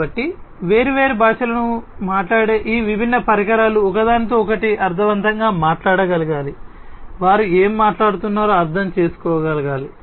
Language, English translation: Telugu, So, these different devices talking different languages they should be able to talk to each other meaningfully, they should be able to understand what they are talking about